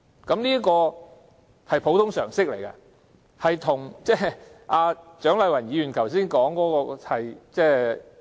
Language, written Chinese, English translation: Cantonese, 這是普通常識，有別於蔣麗芸議員剛才所說的。, This is common sense unlike what Dr CHIANG Lai - wan said just now